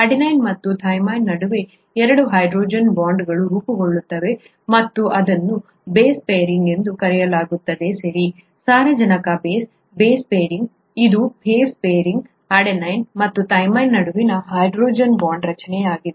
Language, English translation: Kannada, There are two hydrogen bonds that are formed between adenine and thymine and this is what is called base pairing, okay, nitrogenous base, base pairing, this is a base pairing, a hydrogen bond formation between adenine and thymine